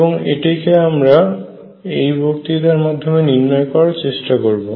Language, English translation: Bengali, And this is what we are going to determine in this lecture